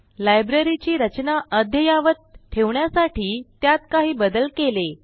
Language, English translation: Marathi, So, we modified the Library database to make the structure up to date